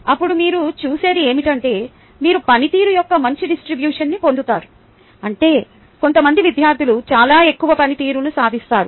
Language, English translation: Telugu, then what you will see is that you will get a nice distribution of the performance, which means there will be at least some students who will achieve very high performance